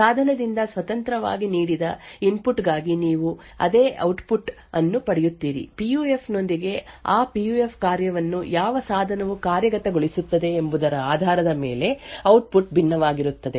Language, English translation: Kannada, Over there for a given input independent of the device you would get the same output however, with a PUF the output will differ based on which device is executing that PUF function